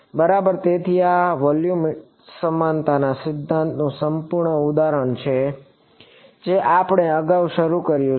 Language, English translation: Gujarati, Right so this is the perfect example of volume equivalence principle which we have started earlier